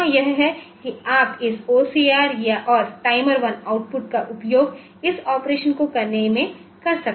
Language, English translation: Hindi, So, here it is you can do this OCR and this output a timer 1 for doing this operation